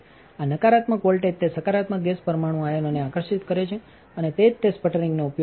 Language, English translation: Gujarati, This negative voltage attracts those positive gas molecule ions and that is what causes the sputtering